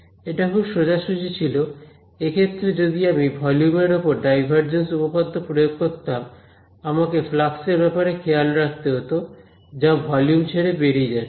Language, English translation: Bengali, So, this was very straight forward, in this case if I applied divergence theorem to this volume I should take care of the flux that is leaving the volume right